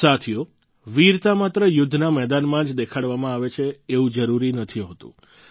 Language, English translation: Gujarati, it is not necessary that bravery should be displayed only on the battlefield